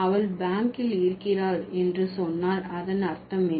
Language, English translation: Tamil, So, if you just say she is at the bank, so what does it mean